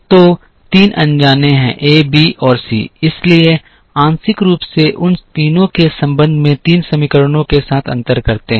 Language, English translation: Hindi, So, there are three unknowns a b and c so partially differentiate with the respect to all the three of them to get three equations